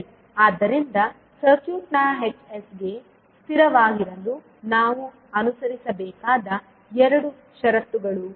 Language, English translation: Kannada, So these are the two conditions which we have to follow as a requirement for h s to of the circuit to be stable